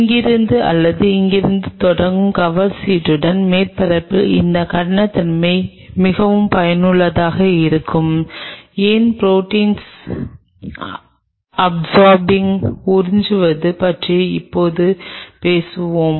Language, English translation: Tamil, And this roughness of the surface of a cover slip starting from here or here will be very helpful why when will we talk about absorbing the proteins